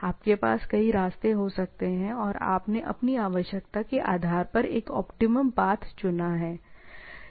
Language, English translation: Hindi, You can have multiple paths and you chose a optimum path, right, based on your requirement, right